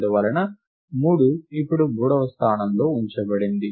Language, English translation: Telugu, And therefore, 3 is now placed into the third position